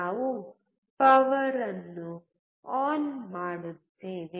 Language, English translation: Kannada, We switch the power on